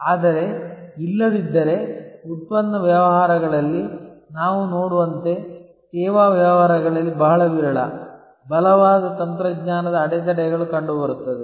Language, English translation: Kannada, But, otherwise as we see in product businesses there are very seldom, very strong technology barriers in services businesses